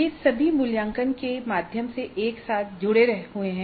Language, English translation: Hindi, These are all glued together through assessment